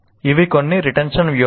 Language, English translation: Telugu, These are some retention strategies